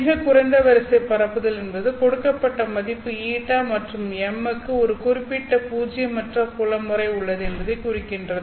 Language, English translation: Tamil, The lowest order propagation means that for a given value of new and M, there exists a certain non zero field pattern